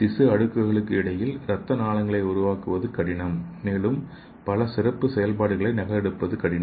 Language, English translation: Tamil, Because it is difficult to create blood vessels between tissue layers and organs have many specialized functions difficult to replicate